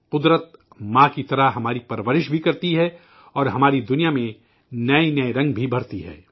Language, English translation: Urdu, Nature nurtures us like a Mother and fills our world with vivid colors too